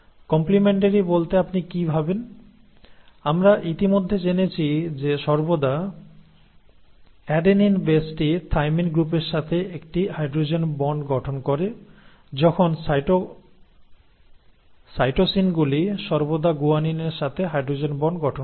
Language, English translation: Bengali, Now what do you mean by complimentary, we have already studied that always the adenine base will form a hydrogen bond with the thymine group while the cytosines will always form hydrogen bonds with the guanine